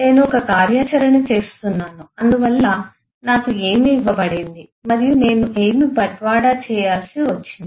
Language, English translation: Telugu, am doing an activity, so what I am given and what I had to deliver